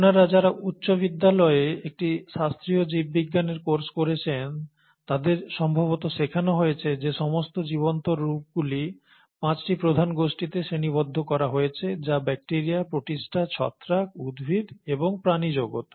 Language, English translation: Bengali, Now those of you who would have taken a classical biology class in their high school, they would have been taught that the all the living forms are classified into five major kingdoms, which is, the bacteria, the protista, the fungi, the plant, and the animal kingdom